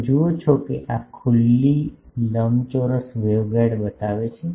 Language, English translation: Gujarati, You see this shows an open rectangular waveguide